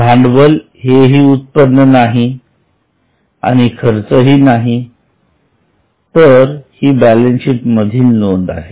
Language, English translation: Marathi, Neither income, neither expense, it's a balance sheet item